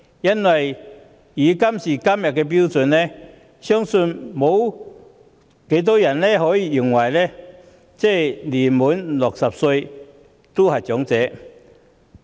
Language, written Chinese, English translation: Cantonese, 按照今天的標準，相信沒有人認為年屆60歲的就是長者。, By todays standards I believe that no one will regard the 60 - year - olds as elderly people